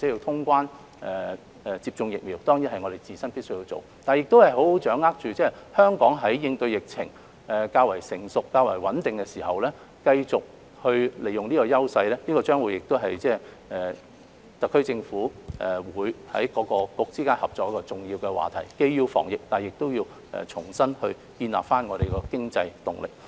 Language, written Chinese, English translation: Cantonese, 通關及接種疫苗當然是我們自身必須要做的，但如何才能好好掌握香港在應對疫情較為成熟和穩定的時候，繼續利用這種優勢，將會是特區政府各個政策局之間合作的重要話題，既要防疫，但亦要重新建立經濟動力。, Traveller clearance and vaccination are surely what we should do . And yet how Hong Kong can continue to leverage our advantages and properly seize the opportunities presented when the combat of the epidemic has reached a mature stage and the epidemic situation has stabilized will be an important agenda item concerning the cooperation of Policy Bureaux of the SAR Government . We will have to prevent the epidemic while regaining the economic momentum